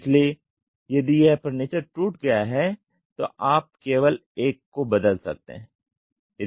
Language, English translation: Hindi, So, if this furniture is broken you replay only one